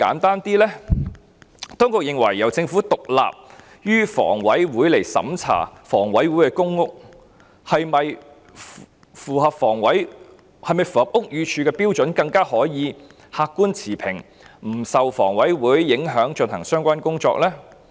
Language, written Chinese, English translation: Cantonese, 當局是否認為，由獨立於房委會的政府部門審查房委會的公屋是否符合屋宇署標準，會更客觀持平，可在不受房委會的影響下進行相關工作呢？, Do the authorities consider that it is more objective and fair for a government department independent of HA to review whether the PRH of HA is in compliance with the standards of BD so that the relevant work can be carried out without influence from HA?